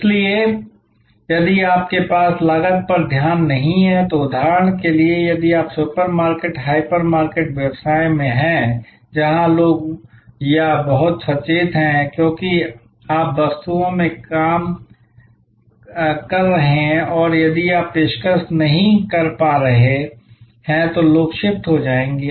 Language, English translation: Hindi, So, if you do not have minute attention to cost then for example, if you are in the supermarket, hyper market business, where people or very conscious about, because you are dealing in commodities and people will shift if you are not able to offer attractive pricing